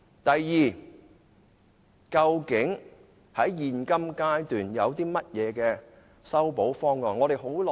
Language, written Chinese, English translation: Cantonese, 第二，究竟在現階段有何修補方案。, Second we can formulate a remedial proposal at this stage